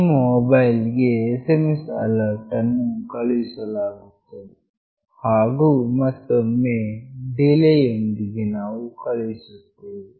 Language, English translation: Kannada, The SMS alert will be sent to your mobile, and again with a delay we are providing